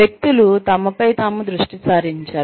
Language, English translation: Telugu, Individuals focusing on themselves